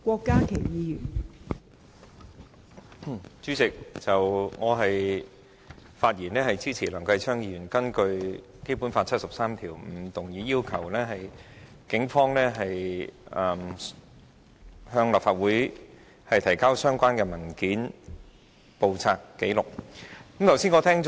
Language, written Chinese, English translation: Cantonese, 代理主席，我發言支持梁繼昌議員根據《基本法》第七十三條動議議案，要求警方向立法會提交相關文件、簿冊或紀錄。, Deputy President I speak in support of the motion moved by Mr Kenneth LEUNG under Article 73 of the Basic Law to ask the Police to submit to the Legislative Council all relevant documents books or records